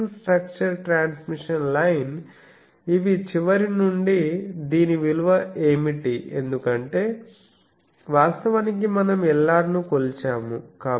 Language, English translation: Telugu, The feeding structures transmission line these are from the end, what is the value of this because actually we have measured Lr